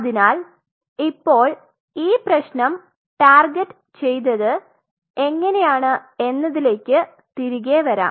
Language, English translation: Malayalam, So, now getting back how this problem was targeted